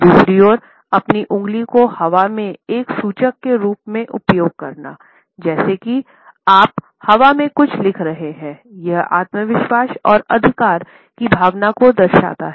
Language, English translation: Hindi, On the other hand, using your finger as a pointer in the air, as if you are writing something in the air, indicates a sense of confidence and authority